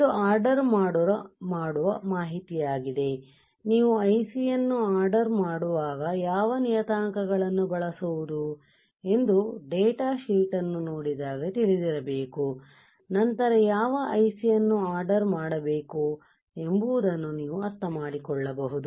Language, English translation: Kannada, Alright this is a ordering information, when do when you want to order IC you should know what parameters, you have to use you will know this parameter when you look at the data sheet, when you understand the data sheet then you can understand which IC I should order right